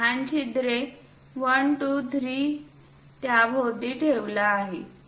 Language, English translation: Marathi, Thisthese smaller holes 1, 2, 3 are placed around that